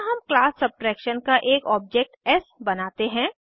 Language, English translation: Hindi, Here we create an object s of class subtraction